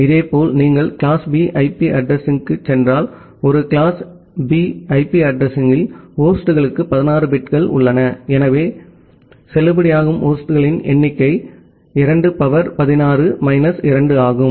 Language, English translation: Tamil, Similarly, if you go for class B IP address, in a class B IP address, you have 16 bits for the hosts, so; that means the number of valid hosts are 2 to the power 16 minus 2